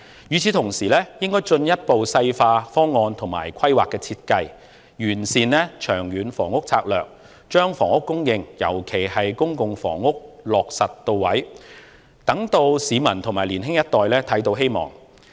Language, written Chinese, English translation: Cantonese, 與此同時，應該進一步細化方案和規劃設計，完善長遠房屋策略，把房屋供應，尤其是公共房屋的供應落實到位，讓市民及年青一代看到希望。, Meanwhile the details of the proposal and planning design should be worked out and the long - term housing strategy should be refined so that housing supply in particular the supply of public housing can materialize and reach its intended users for the public and younger generation to see hope